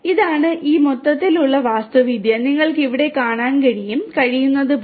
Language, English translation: Malayalam, And this is this overall architecture and as you can see over here